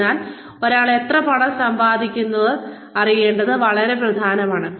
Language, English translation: Malayalam, So, it is very important to know, how much money, one wants to make